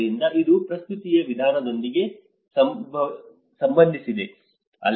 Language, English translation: Kannada, So, it is all to do with the manner of presentation